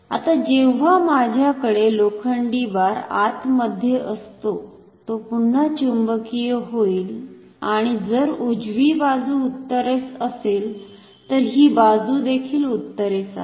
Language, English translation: Marathi, Now, when I have this iron bar inside this, it will again be magnetized and if the right side is north then here also this should be north